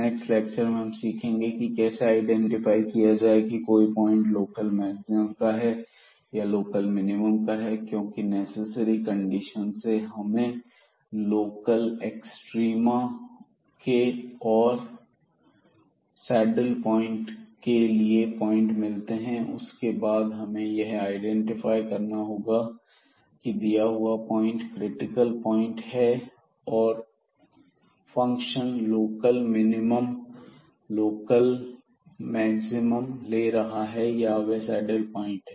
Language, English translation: Hindi, In the next lecture we will learn now, how to identify whether it is a local maximum or local minimum because necessary conditions will give us the candidates for the local extrema and also for the saddle points, but then we have to identify whether a given point a given critical point the function is taking local maximum local minimum or it is a saddle point